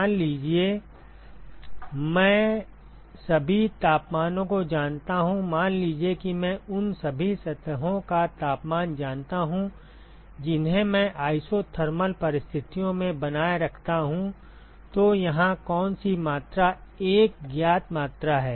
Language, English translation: Hindi, Suppose I know all the temperatures, suppose I know the temperature of all the surfaces I maintain under isothermal conditions so which quantity is a known quantity here